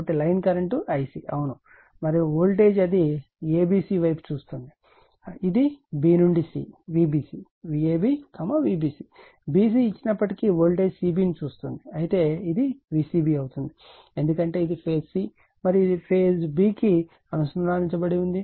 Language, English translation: Telugu, So, line current is I c , yeah and your voltage it looks at the a b c , it looks at voltage c b right although b to c, V b c, V a b, V b c b c is given, but it will be V c b because this is the phase c and this is connected to b